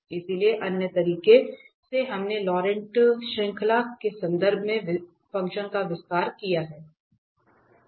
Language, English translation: Hindi, So, by some other means we have expanded the function in terms of the Laurent series